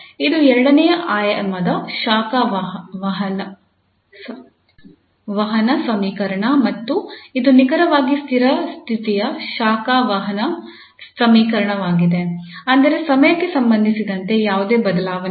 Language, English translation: Kannada, So this is the second dimensional heat conduction equation and exactly the steady state heat conduction equation that means this, there is no change with respect to time